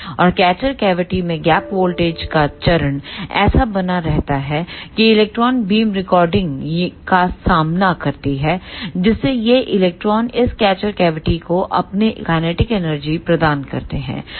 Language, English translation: Hindi, And in the catcher cavity, the face of the gap voltage is maintained such that the electron beam encounter the retarding phase, so that these electrons gives their kinetic energy to this catcher cavity